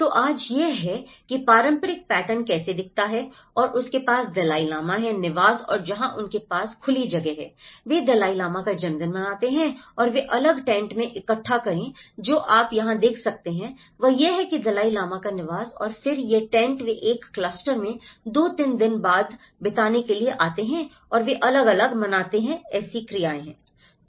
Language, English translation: Hindi, So, today this is how the traditional patterns look like and you have the Dalai Lama's residence and where they have the open space, they celebrate Dalai Lama's birthday and they gather in different tents what you can see here is this is how the Dalai Lama's residence and then, these tents they come in a clusters to spend 2, 3 days there and they celebrate different activities